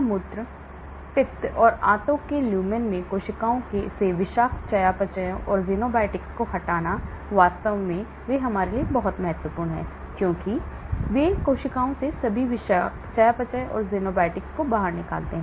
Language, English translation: Hindi, The removal of toxic metabolites and xenobiotics from cells into urine, bile and the intestinal lumen, in fact, they are very important for us because they throw out all the toxic metabolites and xenobiotics from the cells